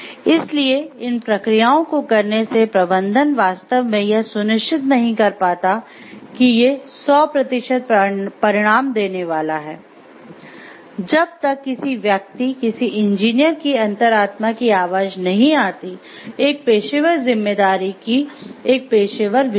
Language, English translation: Hindi, So, by doing these processes the management cannot really ensure like these are going to give 100 percent result, until and unless it is a call from within the person, it is a call from within the conscience of the person of the engineers in terms of professional responsibility, professional conscience